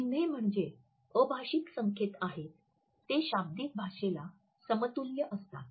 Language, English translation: Marathi, So, emblems are nonverbal signals with a verbal equivalent